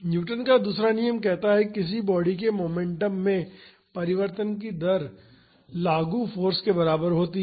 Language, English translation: Hindi, The Newton’s second law states that “rate of change of momentum of a body is equal to the applied force”